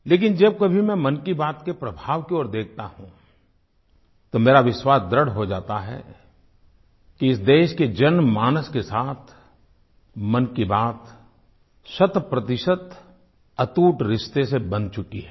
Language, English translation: Hindi, But whenever I look at the overall outcome of 'Mann Ki Baat', it reinforces my belief, that it is intrinsically, inseparably woven into the warp & weft of our common citizens' lives, cent per cent